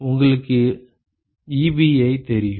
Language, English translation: Tamil, You know Ebi